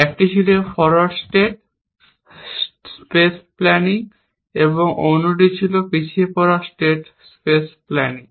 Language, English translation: Bengali, So, this was a plus point of forward state space planning, and this was corresponding negative point of backward state space planning